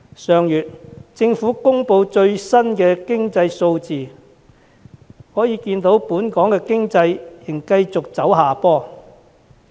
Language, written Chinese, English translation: Cantonese, 上月政府公布最新經濟數字，可見本港經濟仍繼續走下坡。, As indicated by the Governments latest economic figures released last month the economy is still going downhill